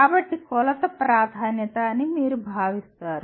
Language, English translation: Telugu, So you consider the measure is preferability